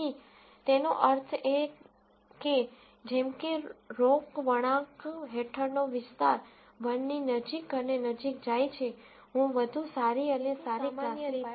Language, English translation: Gujarati, So that means, as the area under the Roc curve goes closer and closer to 1, I am getting better and better classifier designs